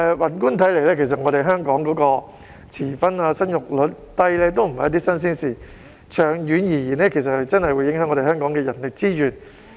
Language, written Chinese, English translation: Cantonese, 宏觀地看，香港遲婚和生育率低的問題也不是新鮮事，但長遠而言，這樣的確會影響到香港的人力資源。, Generally speaking late marriage and low birth rate in Hong Kong are nothing new at all . But in the long run it will definitely affect Hong Kongs manpower resources